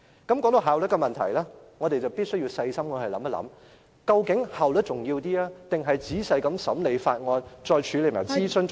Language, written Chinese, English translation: Cantonese, 談到效率的問題，我們必須細心考慮，究竟是效率重要，還是仔細審理法案，再處理諮詢較為重要......, When it comes to efficiency we must consider cautiously whether we should accord priority to efficiency or to the detailed examination of the Bill or the consultation